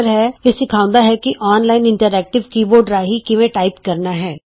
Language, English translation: Punjabi, It teaches you how to type using an online interactive keyboard